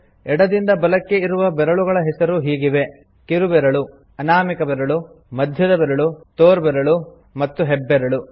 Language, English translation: Kannada, Fingers, from left to right, are named: Little finger, Ring finger, Middle finger, Index finger and Thumb